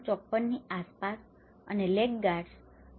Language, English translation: Gujarati, 54 and the laggards is about 13